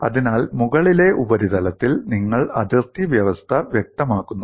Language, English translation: Malayalam, So, on the top surface, you specify the bulk boundary condition